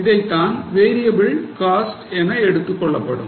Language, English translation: Tamil, that is called as a variable cost